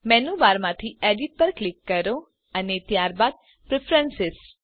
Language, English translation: Gujarati, From the Menu bar, click on Edit and then Preferences